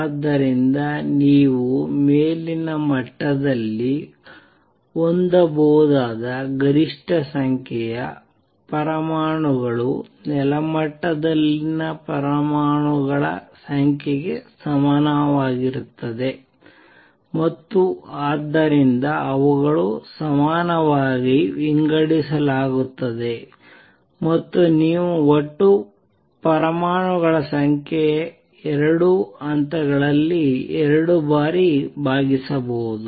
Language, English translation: Kannada, So, maximum number of atoms that you can have in the upper level is equal to the number of atoms in the ground level and that is so they will be divided equally and you will have total number of atoms divided by 2 in the 2 levels